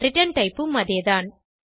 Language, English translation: Tamil, And the return type is also same